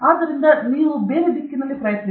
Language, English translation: Kannada, So, you try in some other vehicle